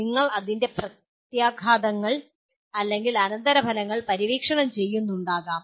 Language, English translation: Malayalam, You may be exploring the implications or consequences